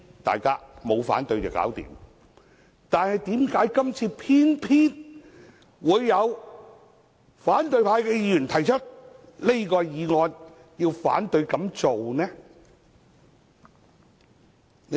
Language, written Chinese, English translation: Cantonese, 但是，為何今次偏偏會有反對派議員提出這項議案，反對給予許可？, However how come an opposition Member moves a motion this time to refuse granting the leave?